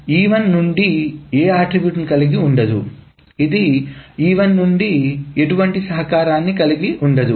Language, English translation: Telugu, So it doesn't contain any attribute from E1